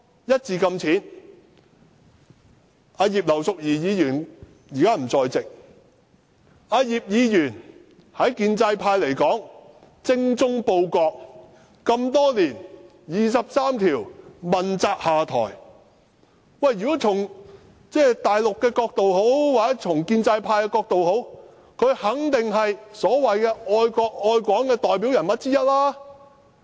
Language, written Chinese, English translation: Cantonese, 葉劉淑儀議員現時不在席，對建制派而言，葉議員精忠報國這麼多年，為"二十三條"問責下台，如果從大陸或建制派的角度來看，她肯定是愛國愛港的代表人物之一。, In the eyes of pro - establishment Members Mrs IP is dedicated and loyal in her years of work for the Country . She stepped down and took the responsibility for the legislative proposal on Article 23 . Talking about being patriotic to the Country and Hong Kong she is definitely one of the best examples